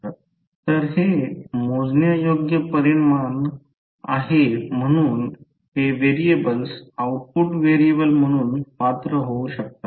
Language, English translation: Marathi, So, these are measurable quantity so that is way these variables can be qualified as an output variable